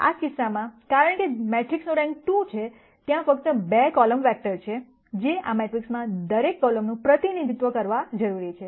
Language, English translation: Gujarati, In this case since the rank of the matrix turns out to be 2, there are only 2 column vectors that I need to represent every column in this matrix